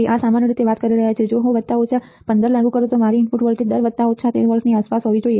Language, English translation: Gujarati, This is in general we are talking about in general if I apply plus minus 15 my input voltage range should be around plus minus 13 volts